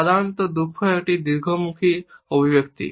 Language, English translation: Bengali, Usually sadness is a longer facial expression